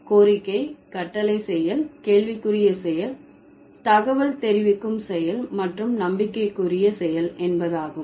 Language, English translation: Tamil, The act of requesting, act of commanding, act of questioning, act of informing and act of promising